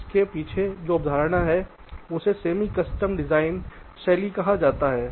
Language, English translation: Hindi, this is the concept behind this so called semi custom design style